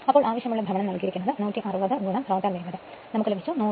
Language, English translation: Malayalam, So, useful torque is given 160 into your rotor speed you got 100